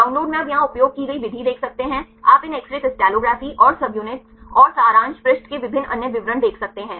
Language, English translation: Hindi, In the download you can see the method used here you can see these X ray crystallography and the subunits and different other details in the summary page